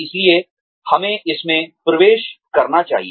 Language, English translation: Hindi, so, let us get into it